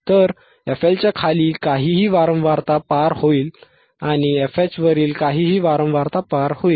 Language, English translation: Marathi, So, anything below f L will pass, anything above f H will pass